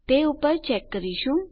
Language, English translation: Gujarati, Well check on that